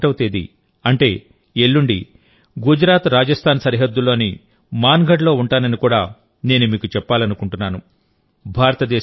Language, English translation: Telugu, the day after tomorrow, I shall be at will be at Mangarh, on the border of GujaratRajasthan